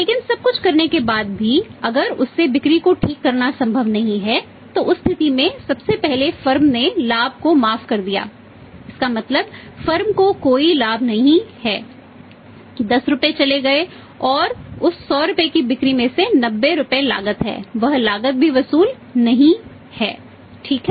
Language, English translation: Hindi, But even after doing everything if it is not possible to recover the sales from him in that case what the firm has lost from first thing is formulas the profit means no profit is come to the firm that 10 rupees are gone and out of that 100 rupees sale 90 rupees is the cost that cost is also not recovered right